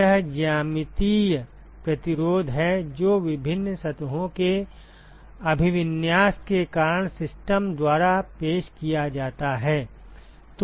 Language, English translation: Hindi, This is the geometric resistance that is offered by the system because of the orientation of different surfaces